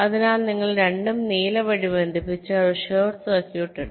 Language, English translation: Malayalam, so both, if you connect by blue, there is a short circuit